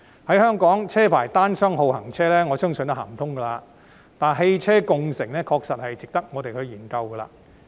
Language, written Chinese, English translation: Cantonese, 在香港實行車牌單雙號行車，我相信這方法不可行，但汽車共乘確實值得我們研究。, I believe it is not feasible to implement odd - even licence plate restriction in Hong Kong but ride - sharing is worth studying